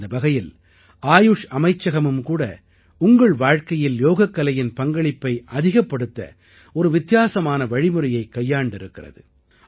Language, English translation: Tamil, By the way, the Ministry of AYUSH has also done a unique experiment this time to increase the practice of yoga in your life